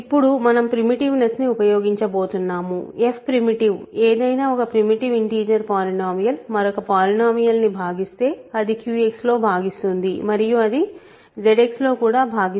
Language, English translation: Telugu, Now, we are going to use the primitiveness, f is primitive; if any primitive integer polynomial divides another a polynomial, it divides in if it divides in Q X it also divides in Z X